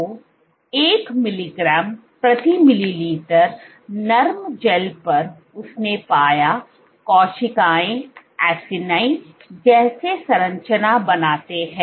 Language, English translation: Hindi, So, on the 1 mg per ml gels, on the on the soft gels, what she found was the cells formed this acini like structure